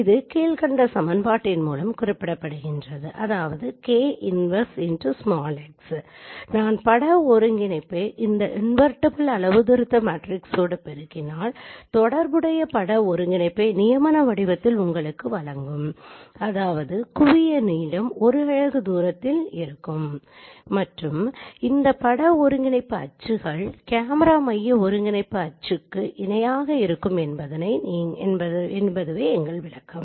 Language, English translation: Tamil, So if I apply the k inverse x, that means if I multiply the image coordinate with this inverse of calibration matrix it will provide you the corresponding coordinate in the canonical form which means no the image coordinate in the canonical form where the focal plane is at the unit distance and its axis are parallel to the axis of the camera centric coordinate system